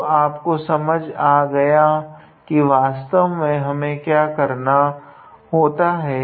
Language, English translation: Hindi, So, you got the idea that what we have to do actually